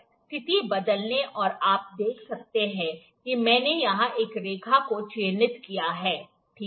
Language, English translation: Hindi, Change the position, you can see I have marked a line here, this line if it is seen, ok